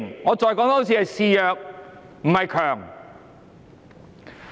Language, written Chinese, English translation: Cantonese, 我再說一次，是示弱，不是強。, Let me repeat it is a show of weakness not strength